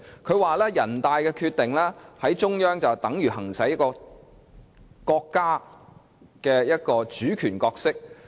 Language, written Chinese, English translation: Cantonese, 她又指人大《決定》等於中央行使了國家主權角色。, The NPCSCs Decision in her view is essentially the exercise of the sovereignty of the State by the Central Authority